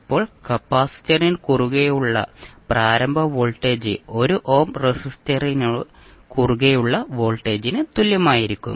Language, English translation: Malayalam, Now initial voltage across the capacitor would be same as the voltage across 1 ohm resistor